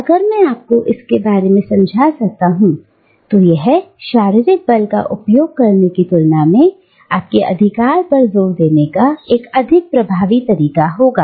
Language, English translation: Hindi, If I can convince you of that, then that is a more effective way of asserting my authority over you than using physical force